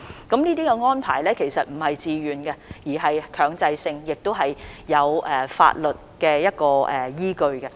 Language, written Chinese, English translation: Cantonese, 這些安排並非自願的，而是強制的檢疫安排，都是有法律依據的。, These arrangements are not of a voluntary nature rather they are compulsory quarantine arrangements with a legal basis